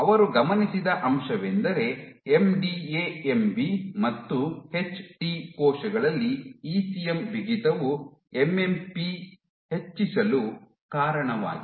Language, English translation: Kannada, So, what this would what they observed was that in MDA MB and HT cells, So, these cells ECM stiffness led to increased MMP 2 and 9 activities